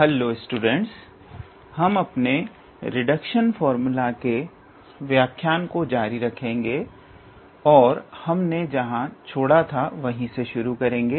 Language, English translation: Hindi, Hello students, we will continue our this lecture with the Reduction formula and we will start from where we left off